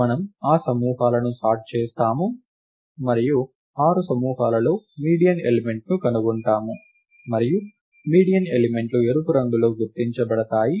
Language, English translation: Telugu, We sort that groups and then find the median element in the 6 groups, and the median elements are marked in red